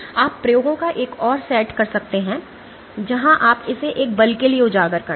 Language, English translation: Hindi, You can do another set of experiments where you expose it to a force